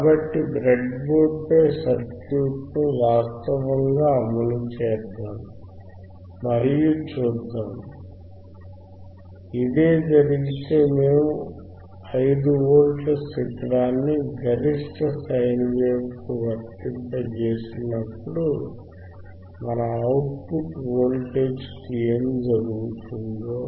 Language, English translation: Telugu, So, if this is the case if this is the case, let us let us actually implement the circuit implement the circuit on the breadboard on the breadboard and let us see what happens what happens to our output voltage when we apply 5 volts peak to peak sine wave